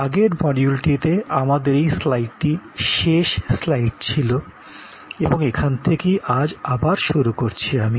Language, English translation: Bengali, In the last module we had this slide, which was the ending slide and this is, where we start today